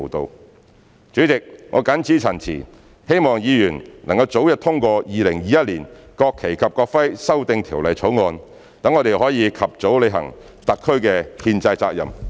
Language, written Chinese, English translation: Cantonese, 代理主席，我謹此陳辭，希望議員能早日通過《2021年國旗及國徽條例草案》，讓我們能及早履行特區的憲制責任。, With these remarks Deputy President I hope that Members will support the early passage of the National Flag and National Emblem Amendment Bill 2021 so that we can fulfil the constitutional duty of SAR at the earliest possible time